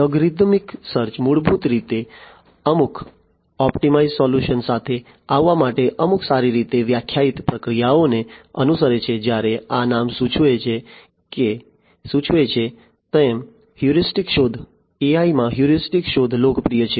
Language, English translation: Gujarati, Algorithmic search basically follows certain well defined procedures in order to come up with some optimized solution whereas, heuristic search as this name suggests; heuristic search is popular in AI